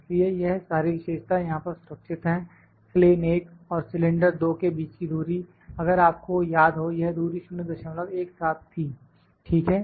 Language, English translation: Hindi, So, these features are all stored here the distance between plane 1 and cylinder 2; if you remember this distance was 0